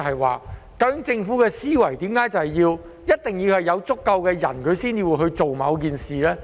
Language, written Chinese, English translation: Cantonese, 為何政府的思維一定是要有足夠的人口，才會去做某件事呢？, Why must the Government think that there should be enough population before it will do something?